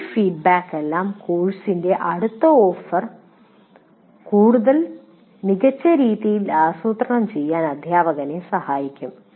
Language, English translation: Malayalam, And all these feedbacks based on this will act, will facilitate the teacher to plan the next offering of the course much better